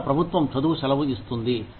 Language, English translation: Telugu, Indian government gives a study leave